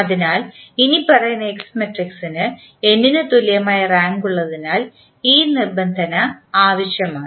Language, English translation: Malayalam, So, the condition is necessary and sufficient that the following S matrix has the rank equal to n